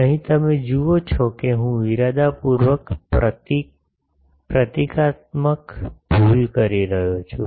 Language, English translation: Gujarati, Here you see I am deliberately making a symbol symbolical mistake